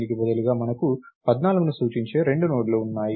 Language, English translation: Telugu, Instead we have 2 nodes pointing to 14